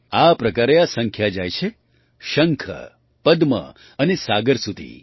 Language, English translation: Gujarati, Similarly this number goes up to the shankh, padma and saagar